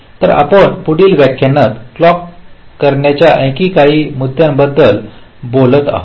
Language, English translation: Marathi, so we shall be talking about some more issues about clocking in the next lecture as well